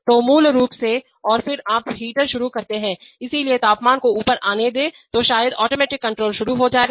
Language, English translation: Hindi, So, basically and then you start the heater, so let the temperature come up then maybe the automatic control will start